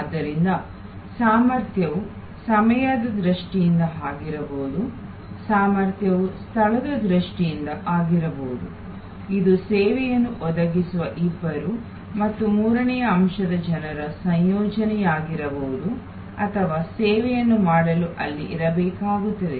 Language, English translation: Kannada, So, capacity can be in terms of time, capacity can be in terms of space, it can be a combination of the two and the third element people who provide the service or consumers, who needs to be there for the service to happen